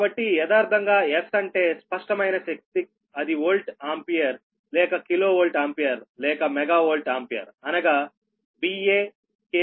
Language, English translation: Telugu, so actually, where s in general, that is your s, is apparent power, that is volt ampere or kilovolt ampere or mega volt ampere, that is v a, k v a or m v a